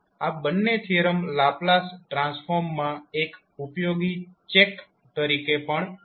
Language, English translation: Gujarati, And these two theorem also serve as a useful check on Laplace transform